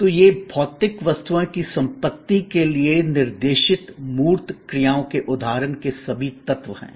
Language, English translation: Hindi, So, these are all elements of an examples of tangible actions directed towards material objects possessions